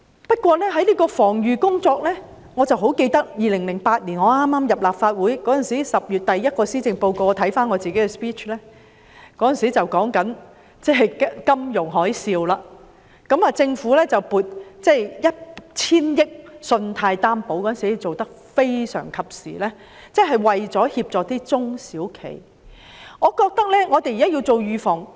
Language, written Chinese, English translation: Cantonese, 不過，在防預工作方面，我記得我在2008年剛加入立法會，當我翻看當年10月我就首份施政報告的發言時，發現當中談及金融海嘯，政府撥出 1,000 億元作為信貸擔保，當時的安排非常及時，為中小企業提供協助。, Yet insofar as precautionary work is concerned I recall that I first joined the Legislative Council in 2008 and when I review the first speech I made on the Policy Address in October that year I notice that I talked about the financial tsunami at the time and the allocation of 100 billion by the Government as provision for the guarantee coverage . Back then the arrangement swiftly offered relief to small and medium enterprises